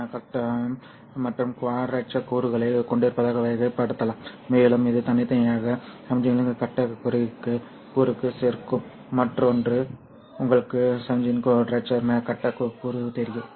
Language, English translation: Tamil, So noise also can be characterized as having in phase and quadrature components and it will separately add to the in face component of the signal and add to the other, you know, the quadrature phase component of the signal